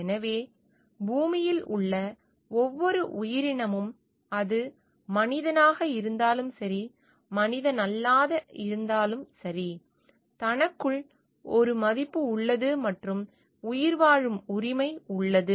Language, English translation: Tamil, So, every entity on earth whether it is human or non human has a value in itself and has a right for survival